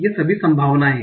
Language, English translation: Hindi, These are all the possibilities